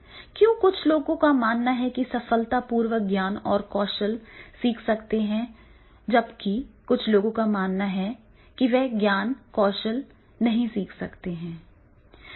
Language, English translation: Hindi, Why some people believe that is yes they can successfully learn knowledge and skill while some people believe that no they cannot learn knowledge and skills